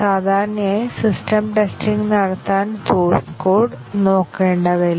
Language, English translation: Malayalam, Normally, do not have to look through the source code to carry out system testing